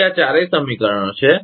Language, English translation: Gujarati, So, these are the all four equations